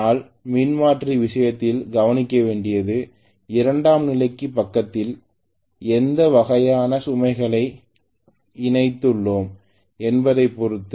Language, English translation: Tamil, But please note in the case of transformer it depended upon what kind of load I connected on the secondary side